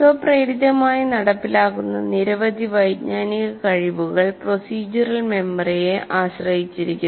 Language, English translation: Malayalam, Like many cognitive skills that are performed automatically rely on procedural memory